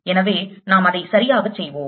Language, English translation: Tamil, so let's do that properly